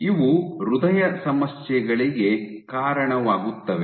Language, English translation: Kannada, And these lead to heart problems